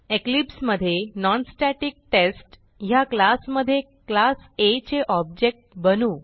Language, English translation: Marathi, Inside class NonStaticTest in Eclipse let us create an object of the class A